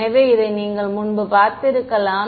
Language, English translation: Tamil, So, you may have seen this earlier